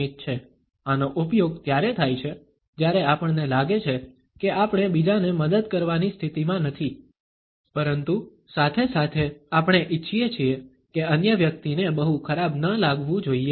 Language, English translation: Gujarati, This is used when we feel that we are not in a position to help others, but at the same time, we want that the other person should not feel very bad